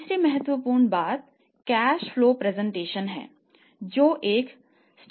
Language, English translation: Hindi, Second important point here is the cash flow and the cash stock